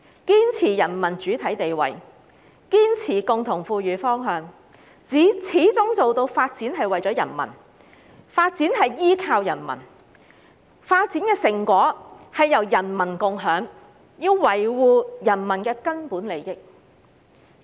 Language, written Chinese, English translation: Cantonese, 堅持人民主體地位，堅持共同富裕方向，始終做到發展為了人民，發展依靠人民，發展成果由人民共用，維護人民根本利益"。, One of the paragraphs reads that Persist in being people - centred adhere to the mainstay status of the people and the direction of common prosperity and always practise development for the people and development by the people share the fruits of development by the people and protect the peoples fundamental interests